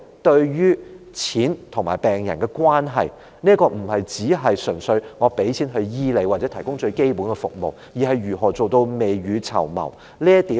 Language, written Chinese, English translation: Cantonese, 對於金錢與病人的關係，這不單是政府純粹提供金錢來醫治病人，或向市民提供最基本的醫療服務，而是如何做到未雨綢繆。, In respect of the relationship between funding and patients it is more than the provision of funding by the Government for the treatment of patients or its provision of the most fundamental healthcare services to the public but is about how it can prepare for the rainy days ahead